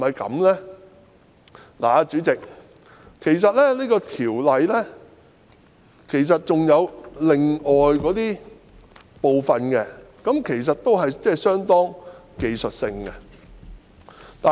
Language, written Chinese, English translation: Cantonese, 代理主席，《條例草案》還有其他部分其實都是相當技術性的修訂。, Deputy Chairman in fact the amendments in other parts of the Bill are quite technical as well